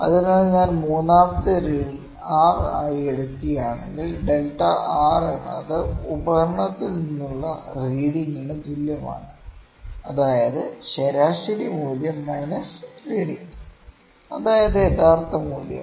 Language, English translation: Malayalam, So, if I take third reading or result as r, ok, the delta R is equal to the reading that is from the instrument that is the mean value minus reading that is true value